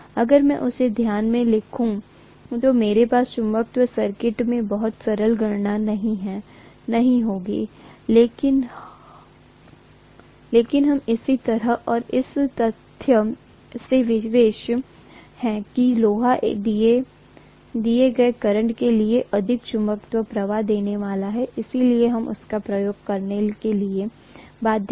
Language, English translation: Hindi, If I take that into consideration, I will not have very simple calculations in the magnetic circuit, but we are kind of you know constrained by the fact that iron is going to give me more magnetic flux for a given current, so we are bound to use that